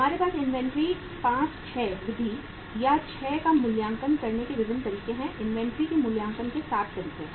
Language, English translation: Hindi, We have different methods of valuing inventory 5, 6 method or 6, 7 methods of valuing inventory are there